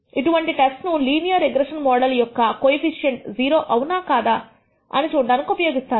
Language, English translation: Telugu, The application of such a test is usually found in testing whether the coefficient of a regression linear regression model is 0 or not